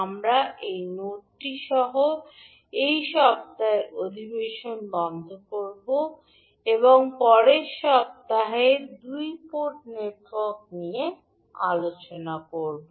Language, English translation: Bengali, So we close this week’s session with this note that we will discuss the 2 port network in next week